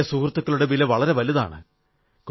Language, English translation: Malayalam, Old friends are invaluable